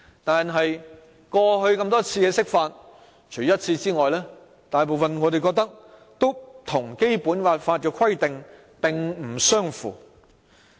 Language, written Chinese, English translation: Cantonese, 但是，過去多次的釋法，除一次外，大部分都與《基本法》的規定並不相符。, Yet most instances of the interpretation of the Basic Law in the past with the exception of one failed to comply with the provisions of the Basic Law